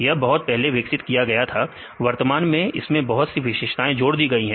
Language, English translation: Hindi, So, that developed long time ago, currently included various new features